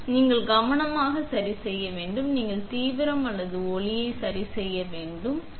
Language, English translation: Tamil, And, how you can adjust the focus and you can adjust the intensity or light